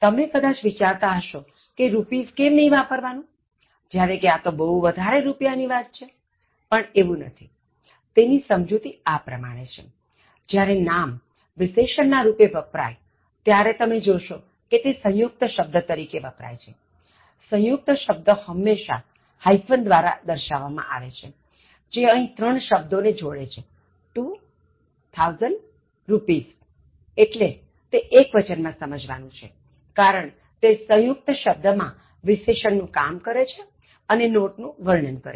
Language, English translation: Gujarati, You may think that, why not rupees when it is two thousand big number, it is not one, the explanation is this; When a noun such as rupees comes in the adjectival position, so now if you look at the noun, it’s trying to function like an adjective in a compound word, the compound word is indicated by the hyphen, which are connecting three words here, two thousand rupees, then it should be used in a singular form because it is functioning like an adjective in its compound form and trying to describe the note